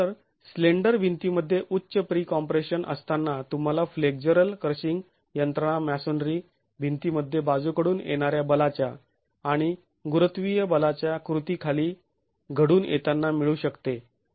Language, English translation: Marathi, So, in a slender wall with high pre compression, you can get the flexural crushing mechanism that can occur in a masonry wall under the action of lateral forces and gravity forces